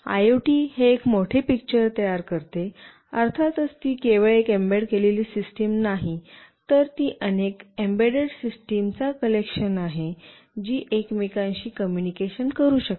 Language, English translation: Marathi, IoT constitutes the larger picture, of course it is not only one embedded system, it is a collection of many embedded systems that can communicate among each other as well